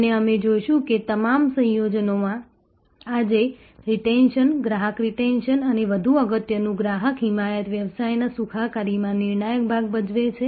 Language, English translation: Gujarati, And we will see that in all combinations, retention today, customer retention and more importantly customer advocacy plays a crucial part in the well being of the business